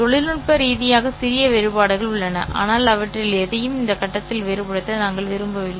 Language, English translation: Tamil, There are technically small differences, but we don't want to distinguish any of them at this point